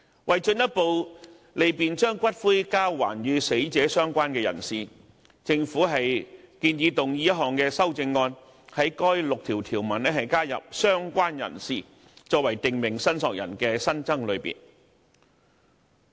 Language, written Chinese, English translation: Cantonese, 為進一步利便把骨灰交還與死者相關人士，政府建議動議一項修正案，在該第6條條文加入"相關人士"，作為訂明申索人的新增類別。, With a view to further facilitating the return of ashes to relevant persons related to the deceased the Government proposes to move a CSA to add related person as an additional category of prescribed claimant under section 6 of Schedule 5 to the Bill